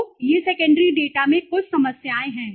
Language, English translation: Hindi, So these are some of the problems in the secondary data